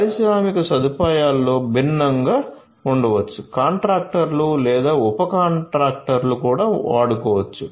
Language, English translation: Telugu, There could be different in an industrial facility, there could be different let us say contractors or subcontractors who could be using